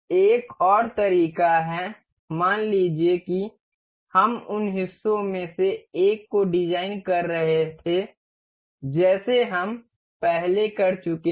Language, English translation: Hindi, Another way like suppose we were designing the one of the parts, like we have done earlier